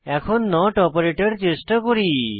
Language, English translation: Bengali, Lets try out the not operator